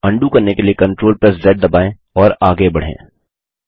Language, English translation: Hindi, Let press Ctrl + Z, to undo this and proceed further